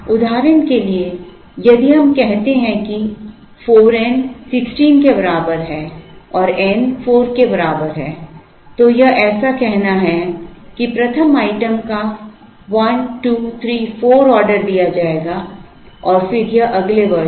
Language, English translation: Hindi, For, example if we say that 4 n is equal to 16 and n is equal to 4 it, is like saying that the 1st item will be ordered 1 2 3 4 and then it goes, this is the next year